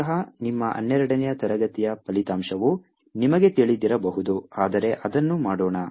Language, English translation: Kannada, probably you know this result from your twelfth grade, but any well as do it